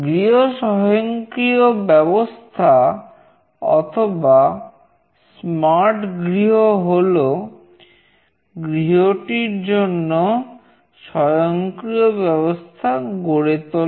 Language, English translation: Bengali, Home automation or smart home is about building automation for a home